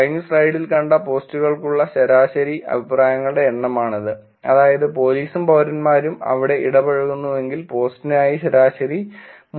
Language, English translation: Malayalam, This is average number of comments for the posts that we saw in the last slide, which is if the police and citizens are interacting there the average 3